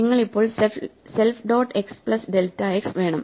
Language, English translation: Malayalam, So, you want self dot x plus delta x